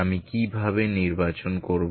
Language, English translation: Bengali, How do I choose